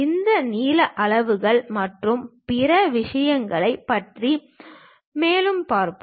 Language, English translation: Tamil, Let us look at more about these lengths scales and other things